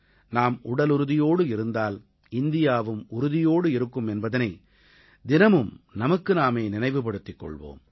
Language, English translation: Tamil, Remind yourself every day that if we are fit India is fit